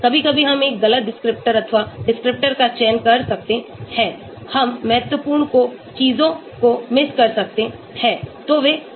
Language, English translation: Hindi, sometimes we may end up selecting a wrong descriptors or descriptor, we may miss out the important ones, so those things are there